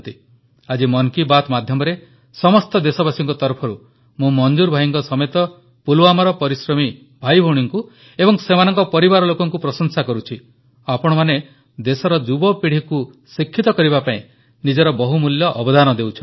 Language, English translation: Odia, Today, through Mann Ki Baat, I, on behalf of all countrymen commend Manzoor bhai and the enterprising brothers and sisters of Pulwama along with their families All of you are making invaluable contribution in educating the young minds of our country